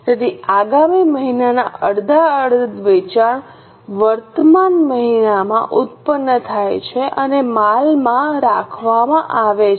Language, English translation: Gujarati, So, half of the next month sales are produced in the current month and kept in the inventory